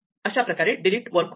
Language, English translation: Marathi, So, this is exactly how delete works